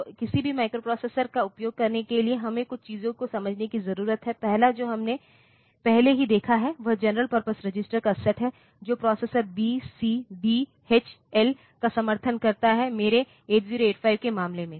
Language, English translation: Hindi, So, as to use any microprocessor, we need to understand a few things, the first one we have already seen is the set of general purpose registers that the processor supports that B, C, D, H, L in case of my 8085